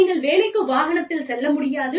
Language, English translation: Tamil, You cannot drive to work